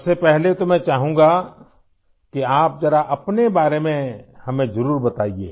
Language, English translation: Hindi, First of all, I'd want you to definitely tell us something about yourself